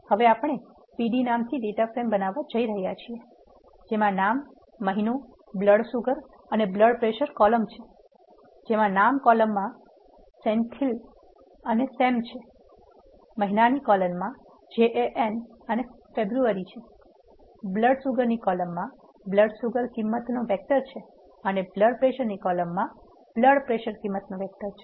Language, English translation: Gujarati, Now we are going to create a data frame by name pd; using the first line which has name month blood sugar and blood pressure as the columns in the name we have Senthil and Sam in the month we have Jan and February, in the blood sugar we have a vector of blood sugar values and in the blood pressure you have a vector of blood pressure values you can print the data frame and see how this it looks